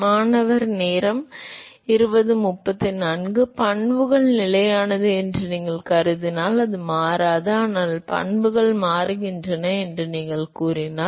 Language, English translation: Tamil, If you assume that the properties are constant it doesn’t, but supposing if you say that the properties change